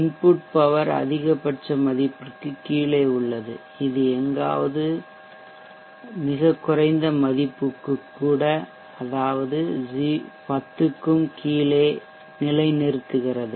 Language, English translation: Tamil, The input power is way below the maximum value it is settling down somewhere to a very low value even bellow 10